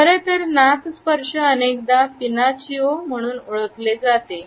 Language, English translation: Marathi, In fact, nose touch is often associated with what is commonly known as the Pinocchio effect